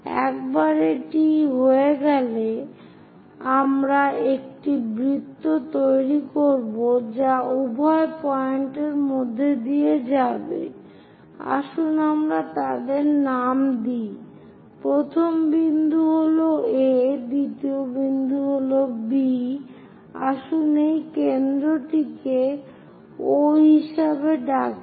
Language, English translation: Bengali, Once it is done, we will construct a circle which pass through both the points, let us name them first point is A, second point is B, let us call this center as O